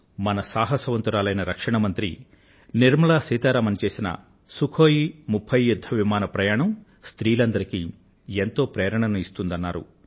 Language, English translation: Telugu, He writes that the flight of our courageous Defence Minister Nirmala Seetharaman in a Sukhoi 30 fighter plane is inspirational for him